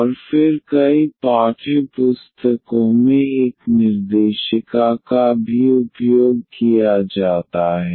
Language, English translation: Hindi, And then there is a directory also used in several textbooks